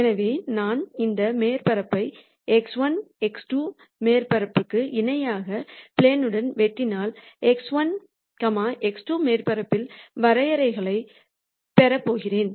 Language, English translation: Tamil, So, what one could say then is that if I cut this surface with the plane parallel to x 1, x 2 surface then I am going to get what are called contours on the x 1, x 2 surface